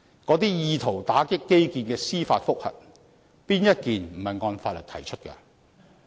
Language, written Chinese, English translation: Cantonese, 那些意圖打擊基建的司法覆核，哪一宗不是按法律提出的？, For those judicial reviews that aim to obstruct infrastructure projects which one of them are not filed in accordance with the law?